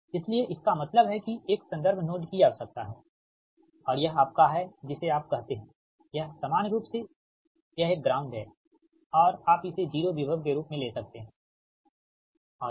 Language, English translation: Hindi, so that means this is an one reference node is required and this is your, what you call, this is your, normally, it's a ground and you can take it as a zero potential right